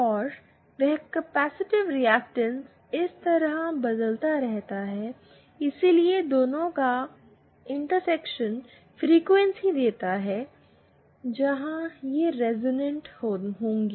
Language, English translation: Hindi, And that capacitive reactance varies like this, so the intersection of the 2 gives the frequency where it will resonate